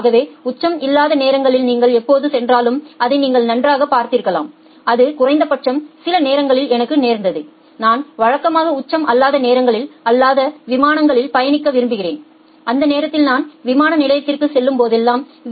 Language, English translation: Tamil, So, you have possibly seen that well during the non peak hours whenever you are going at least that happened to myself a quite a few number of times that I normally prefer flights at the non peak hours and during that time whenever I go to the airport I find that well even I am being allowed through the VIP gates